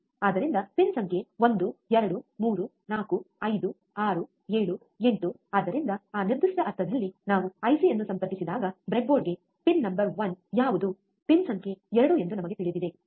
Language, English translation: Kannada, So, pin number 1, 2, 3, 4, 5, 6, 7, 8 so, in that particular sense, when we connect the IC to the breadboard, we know what is pin number one what is pin number 2, alright